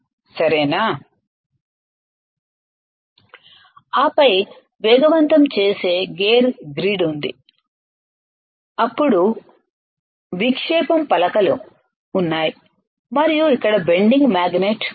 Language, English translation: Telugu, And then there is an accelerating gear grid then there is a deflecting plates and here is a bending magnet